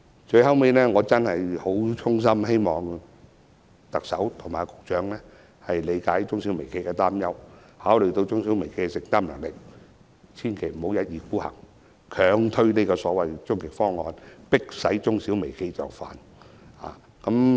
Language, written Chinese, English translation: Cantonese, 最後，我衷心希望特首和局長理解中小微企的擔憂，考慮中小微企的承擔能力，千萬不要一意孤行，強推終極方案，迫使中小微企就範。, Last but not least I sincerely hope that the Chief Executive and the Secretary can understand the worries of MSMEs and consider their affordability and do not wilfully force the ultimate proposal through this Council and force MSMEs to accept it